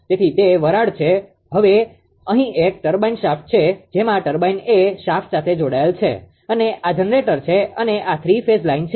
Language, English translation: Gujarati, So, it is a steam, now here it is your what you call this is a turbine shaft turbine generator connected to the shaft right and this is the generator and this is 3 phase line right